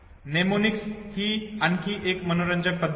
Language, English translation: Marathi, Mnemonics is another interesting method